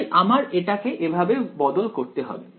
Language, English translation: Bengali, So, I must modify this in this way